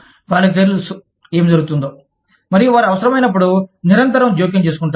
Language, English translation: Telugu, They know, what is going on, and they constantly intervene, as and when required